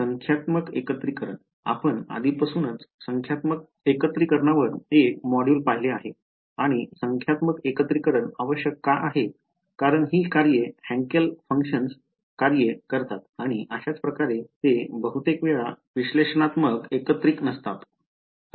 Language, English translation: Marathi, Numerical integration, we have already seen one module on numerical integration and the reason why numerical integration is necessary is because these functions Hankel functions and so on, they are often not analytical integrable